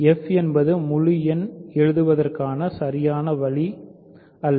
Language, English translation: Tamil, So, f is not the normal way of writing prime integer